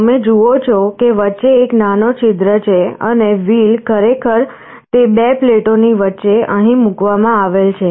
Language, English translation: Gujarati, You see there is a small hole in between and the wheel is actually placed in between those two plates here